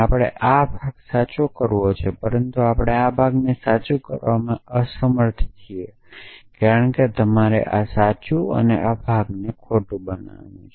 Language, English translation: Gujarati, We have to make this part true, but we are unable to make this part true because you have to make this true and this part false